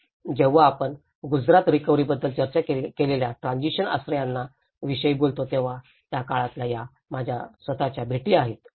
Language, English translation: Marathi, So, when we talk about the transition shelters we did discussed about the Gujarat recovery, this is own, my own visits during that time